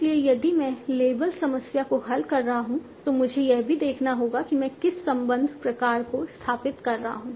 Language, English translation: Hindi, So if I am solving a label problem, I might also have to see what is the relation type that I am established